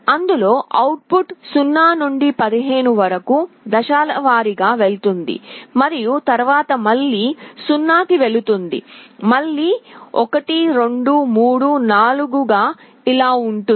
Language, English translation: Telugu, The output will go step by step from 0 to 15 and then again it will go back to 0, again 1 2 3 4 like this